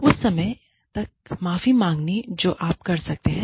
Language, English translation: Hindi, Apologize to the extent, that you can